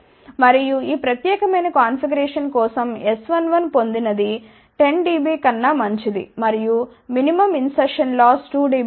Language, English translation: Telugu, And, for this particular configuration S 1 1 obtained was better than 10 dB and minimum insertion loss was about 2 dB